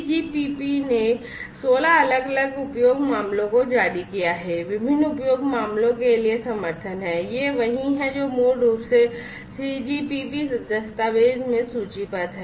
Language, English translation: Hindi, So, 3GPP released 16 has these different use cases has support for different use cases, these are the ones that are basically listed in the 3GPP document